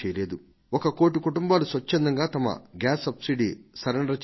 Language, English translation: Telugu, One crore families have voluntarily given up their subsidy on gas cylinders